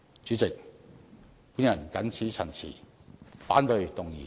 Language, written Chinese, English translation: Cantonese, 主席，我謹此陳辭，反對議案。, With these remarks President I oppose the motion